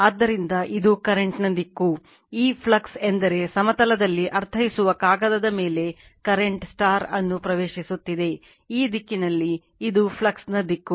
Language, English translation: Kannada, So, this is this is the direction of the current, this flux means that your current is entering into the into on the on the paper right that mean in the plane, and this direction this is the direction of the flux